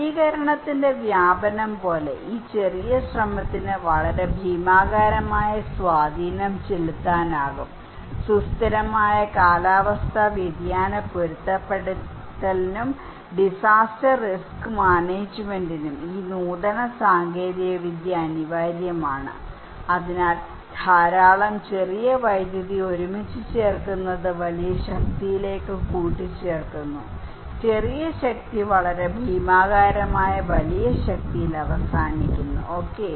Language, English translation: Malayalam, This small effort can have a very gigantic impact like diffusion is of innovation, this innovative technology is inevitable for sustainable climate change adaptations and disaster risk management so, putting a lot small power together adds up to big power right, putting a lot of small power, small power ending at a very gigantic big power, okay